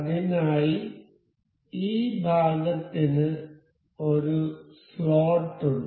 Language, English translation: Malayalam, So, this part has a slot into it